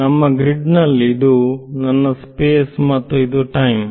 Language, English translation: Kannada, So, our grid this is my space and this is my time